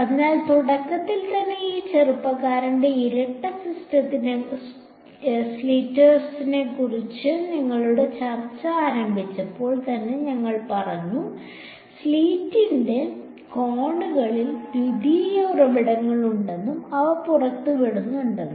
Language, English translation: Malayalam, So, in the very beginning when we started our discussion of this young’s double slit in our we said that there are the secondary sources at the corners of the slit and they are emitting